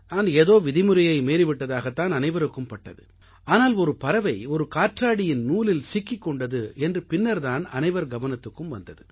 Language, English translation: Tamil, At first sight it seemed that I had broken some rule but later everyone came to realize that a bird was stuck in a kite string